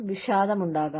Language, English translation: Malayalam, There could be depression